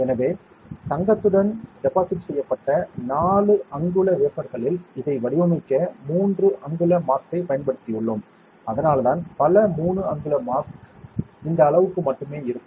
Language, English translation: Tamil, So, on a 4 inch wafer with deposited with gold we have used a 3 inch mask to pattern this, that is why many of because 3 inch mask will only be this much area